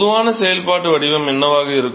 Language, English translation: Tamil, So, what will be the general functional form